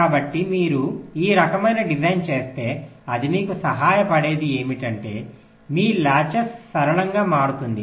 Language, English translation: Telugu, ok, so if you do this kind of a design, what it helps you in that is that your latches becomes simpler